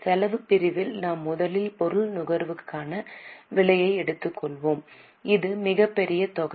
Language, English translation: Tamil, In expense section we will first take the cost of material consume which is the biggest amount